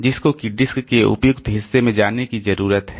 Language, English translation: Hindi, So, that needs to move to the appropriate portion of the disk